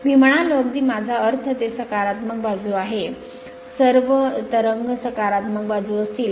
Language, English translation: Marathi, I mean very I mean it is positive side all the ripples will be positive side I mean just hold on